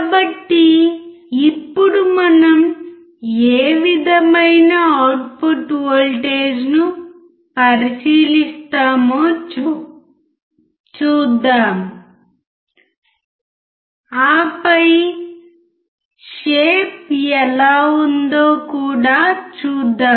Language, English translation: Telugu, So, now, let us see what kind of output voltage we observe and then we also see what is the shape